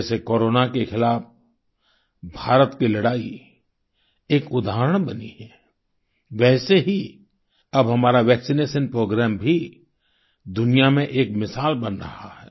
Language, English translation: Hindi, Just as India's fight against Corona became an example, our vaccination Programme too is turning out to be exemplary to the world